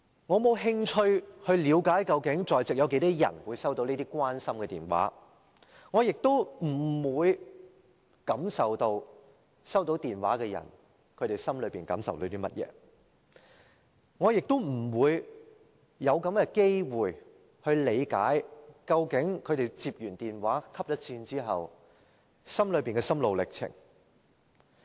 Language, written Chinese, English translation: Cantonese, 我沒有興趣了解在席有多少人會收到這些關心的電話，我不會感受到收到電話的人心內有甚麼感受，我也沒有機會理解他們收到電話後的心路歷程。, I have no interest to ascertain how many Members present have received such phone calls expressing care and concern; and I cannot share the feelings of those who have received such phone calls . Likewise I do not have the chance to understand their state of mind upon receiving such phone calls